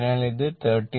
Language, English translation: Malayalam, So, it is 39 0